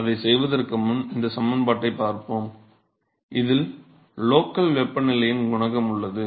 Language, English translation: Tamil, So, before we do that let us look at this expression here, in which is a coefficient to the local temperature